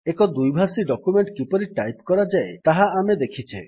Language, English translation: Odia, We have seen how to type a bilingual document